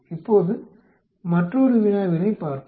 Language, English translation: Tamil, Now let us look at another problem